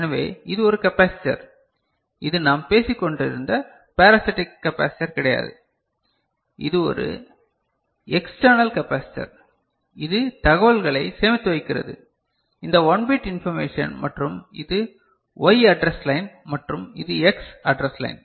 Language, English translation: Tamil, So, this is a capacitor, this is not you know the parasitic capacitor we were talking about, this is an external capacitor which is storing the information, this 1 bit information and so this is the Y address line and this is the X address line